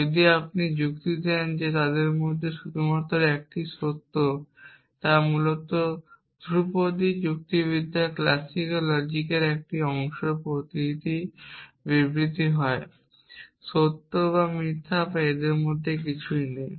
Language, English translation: Bengali, So, this sequence which has slipped in between if you argue that one only one of them is true is essentially a part of classical logic in classical logic every statement is either true or false and there is nothing in between